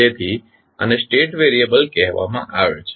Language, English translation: Gujarati, Why we call them state variable